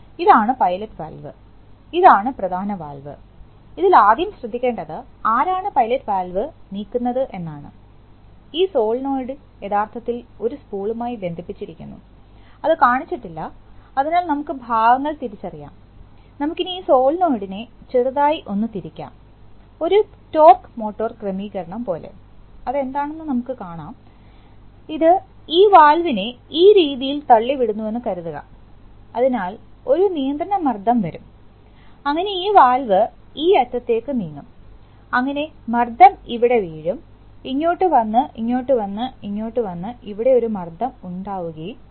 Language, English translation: Malayalam, So here is a, here is atypical type of two stage servo valve construction, see what is happening, you have two kinds of pressure node first, so first of all you are, where is the main valve and where is the pilot valve, so this is the pilot valve and this is the main valve, this is the first thing to note, who moves the pilot valve, this solenoid, actually this is connected to the spool, which is not shown, so let us identify the parts, right and so what happens is that, suppose you tilt the solenoid, something like a torque motor arrangement, which we'll see what it is, this will push this valve this way, now you see that there is a, there is a control pressure, so the control pressure will come and this valve will move to this end, so the pressure will fall here, come here and come here and come here and create a pressure here